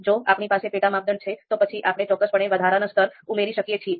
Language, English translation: Gujarati, If we have sub criteria, then we can certainly add additional levels